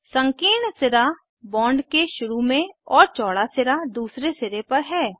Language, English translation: Hindi, Narrow end is at the start of the bond and broad end is at the other end